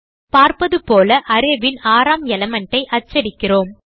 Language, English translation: Tamil, So We shall print the sixth value in the array